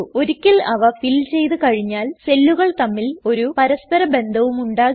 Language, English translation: Malayalam, Once they are filled, the cells have no further connection with one another